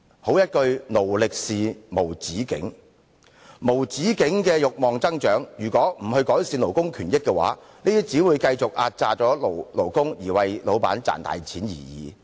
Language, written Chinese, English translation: Cantonese, 好一句"勞力是無止境"，面對無止境的慾望增長，如果不改善勞工權益，便只會繼續壓榨勞工，為老闆賺大錢而已。, It is well said that exploitation of labour knows no end . Faced with the unchecked growth of desire if labour rights are not improved labourers will only continue to be squeezed dry while their bosses reap enormous profits